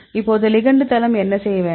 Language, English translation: Tamil, Now our ligand site what we have to do